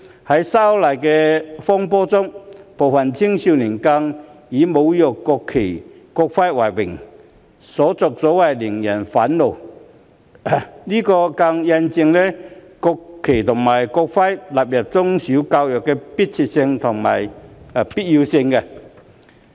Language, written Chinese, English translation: Cantonese, 在修例風波中，部分青少年更是以侮辱國旗和國徽為榮，所作所為令人憤怒，這更印證了將國旗及國徽納入中小學教育的迫切性和必要性。, During the movement of opposition to the proposed legislative amendments some young people took pride in desecrating the national flag and national emblem . Their behaviour was outrageous . It even proves the urgency and necessity of including the national flag and national emblem in primary education and in secondary education